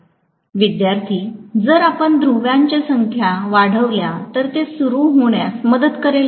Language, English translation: Marathi, If we increase the number of poles will it help in starting